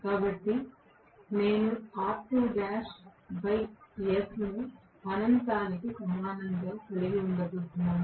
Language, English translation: Telugu, So, I am going to have r2 dash by s equal to infinity